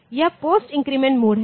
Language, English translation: Hindi, So, this is the post increment mode ok